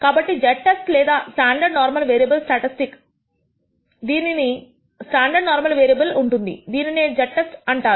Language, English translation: Telugu, So, the z test or the standard normal variable statistic which has a standard normal variable, we call it a z test